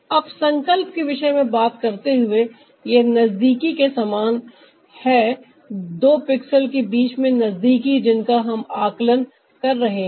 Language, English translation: Hindi, now, by ah talking about resolution, this is more like the proximity, the closeness between ah two pixels that we are taking into account